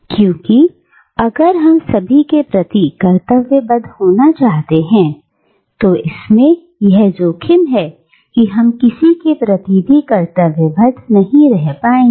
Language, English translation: Hindi, Because, if we are to be duty bound to everyone, then there is a risk that we end up being duty bound to no one